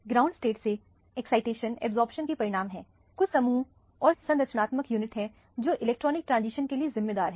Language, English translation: Hindi, Absorption results from the excitation from the ground state to the excited state, there are certain groups and structural units which are responsible for the electronic excitation